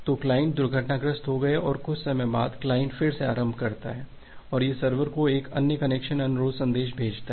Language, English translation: Hindi, So, the client got crashed and after some time, the client again re initiates and it sends another connection request message to the server